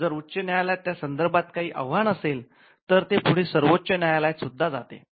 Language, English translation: Marathi, And eventually if there is an appeal from the High Court, it can go to the Supreme Court as well